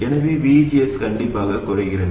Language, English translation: Tamil, So VGS definitely reduces